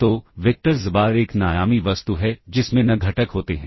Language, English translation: Hindi, So, vector xbar is an n dimensional object which contains n components